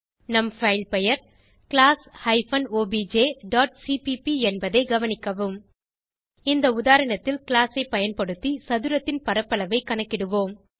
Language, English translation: Tamil, Note that our filename is class hyphen obj dot cpp In this example we will calculate the area of a square using class